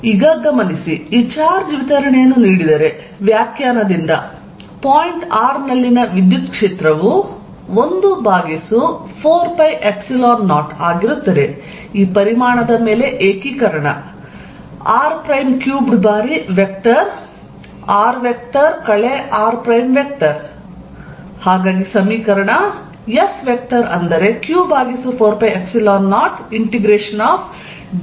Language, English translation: Kannada, So, let us see, therefore given this distribution of charge the electric field by definition at point r is going to be 1 over 4 pi Epsilon 0, integration over this volume rho r prime over r minus r prime cubed times vector r minus r prime